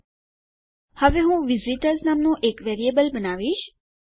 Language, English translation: Gujarati, Now, what Ill do is I will create a new variable called visitors